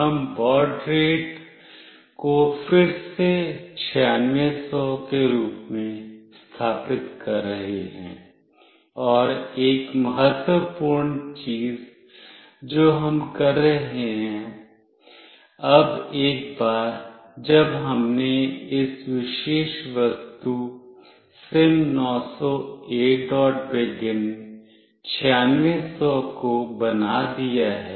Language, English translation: Hindi, We are setting up the baud rate as 9600 again and one of the important thing that we are doing, now once we have made this particular object SIM900A